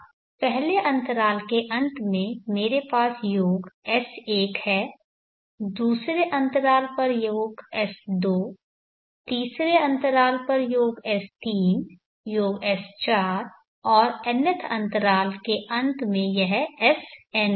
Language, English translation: Hindi, At the end of the 1st interval I will call it as s1 and the end of the 2nd interval is called s2, then the 3rd interval s3, s4 so on at the end of nth interval it will be sn